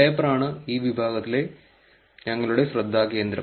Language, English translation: Malayalam, Paper is going to be our focus of this section